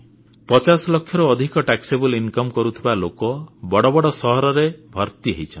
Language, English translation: Odia, People having a taxable income of more than 50 lakh rupees can be seen in big cities in large numbers